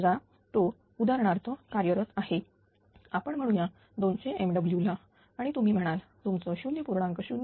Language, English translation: Marathi, Suppose it was operating at for example, say it was operating at 200 megawatts say and you ah say your ah 0